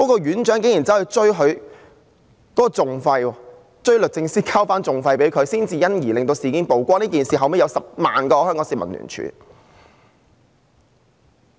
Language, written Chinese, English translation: Cantonese, 院長竟然事後還向律政司追討訟費，才因而令事件曝光。這事件後有10萬名香港市民聯署。, On the contrary the superintendent even claimed recovery of the legal costs from the Department of Justice afterwards leading to the revelation of the incident which triggered a joint petition by 100 000 Hong Kong people